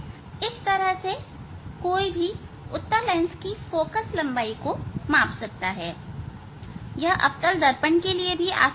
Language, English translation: Hindi, This way one can find out the focal length of the convex mirror, convex mirror; it is easy for concave mirror